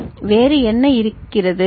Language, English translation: Tamil, So, what else is there